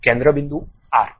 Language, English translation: Gujarati, Center point arc